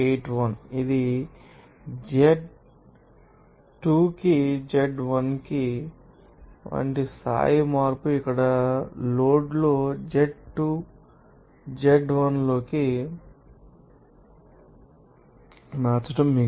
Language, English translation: Telugu, 81 here, this saw you know that level change like this z2 to z1 here in the load, z1 into z2